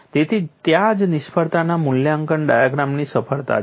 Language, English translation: Gujarati, So, that is where the success of failure assessment diagrams